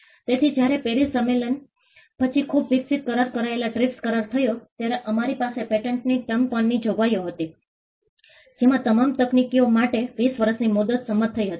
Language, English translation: Gujarati, So, when the TRIPS agreement which is a much evolved agreement came after the PARIS convention, we had provisions on the term of the patent the 20 year term for all patents across technology was agreed upon